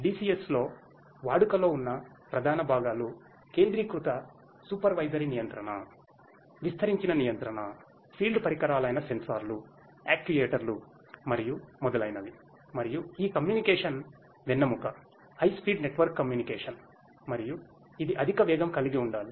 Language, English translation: Telugu, The main major components in use in DCS are the central supervisory controller, distributed controller, field devices such as the sensors, actuators and so on and this communication backbone, the high speed network communication network and it it has to be high speed